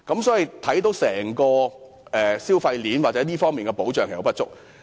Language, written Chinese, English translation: Cantonese, 所以，整個消費鏈或這方面的保障其實並不足。, Therefore protection is actually insufficient for the consumption chain as a whole or in this regard